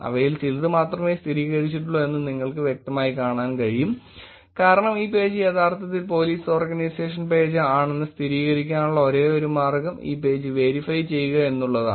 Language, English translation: Malayalam, You can clearly see that there are only few of them which are verified, because verified is the only way to actually confirm that this page is actually legitimately the Police Organization page